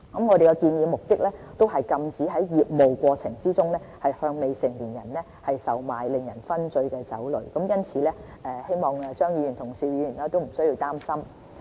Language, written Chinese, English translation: Cantonese, 我們的目的是禁止在業務過程中，向未成年人售賣令人醺醉的酒類，因此希望張議員和邵議員不需要擔心。, Mr CHEUNG and Mr SHIU need not worry as the purpose here is to prohibit the sale of intoxicating liquor to minors in the course of business